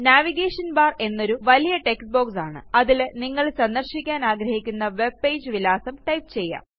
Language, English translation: Malayalam, The Navigation bar is the large text box, where you type the address of the webpage that you want to visit